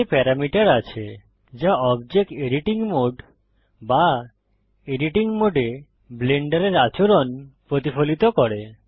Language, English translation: Bengali, This contains parameters that reflect the behavior of Blender in Object editing mode or the Edit Mode